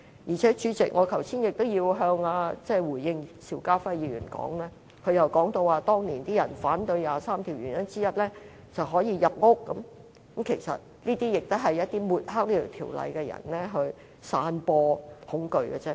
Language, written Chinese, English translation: Cantonese, 再者，主席，我也要回應邵家輝議員剛才的發言，他說當年有人反對第二十三條立法的原因之一就是可以入屋，其實這些也是想抹黑這項條例的人散播恐懼的手法。, Moreover Chairman I have to respond to the speech delivered by Mr SHIU Ka - fai just now he said one of the reasons for people to oppose the legislation on Article 23 of the Basic Law at that time was that the law enforcement agencies were authorized to enter premises . Actually it was part of the terror - spreading tactics of those people who wanted to smear the legislation